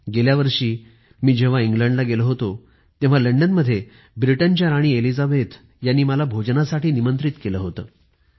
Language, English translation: Marathi, During my past UK visit, in London, the Queen of Britain, Queen Elizabeth had invited me to dine with her